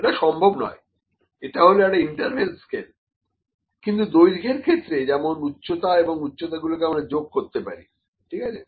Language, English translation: Bengali, So, it is not possible, it is in an interval scale, but the length; that means, if it is the height, yes, height if we keep on adding them yes that can be added, ok